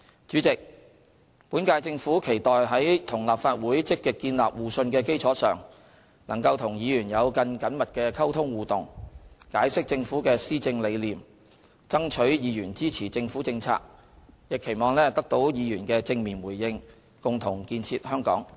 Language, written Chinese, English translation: Cantonese, 主席，本屆政府期待在與立法會積極建立互信的基礎上，能夠與議員有更緊密的溝通互動，解釋政府的施政理念，爭取議員支持政府政策，亦期望得到議員的正面回應，共同建設香港。, President the current - term Government looks forward to having closer communication and interaction with Members on the basis of mutual trust which we will actively build with Legislative Council in order to explain our policy thinking to secure Members support for Government policies . We look forward to receiving a positive response from Members in our joint efforts in building a better Hong Kong